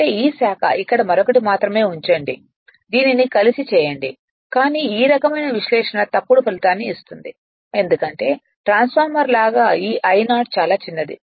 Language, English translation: Telugu, That means all these thing this branch put here only another club it together, but this kind of analysis will give you erroneous result because like a transformer this I 0 actually very small right